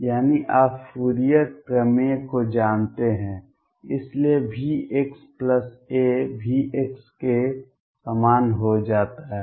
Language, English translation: Hindi, That is by you know Fourier theorem therefore, V x plus a becomes same as V x